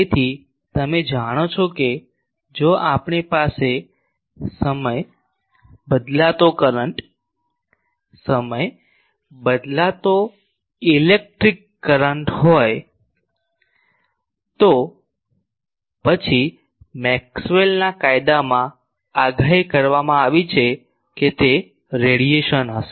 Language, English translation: Gujarati, So, you know that if we have a time varying current, time varying electric current, then Maxwell’s law predicted that there will be radiation